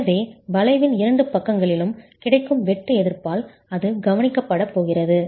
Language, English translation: Tamil, So that's going to be taken care of by shear resistance available in the two sides of the arch itself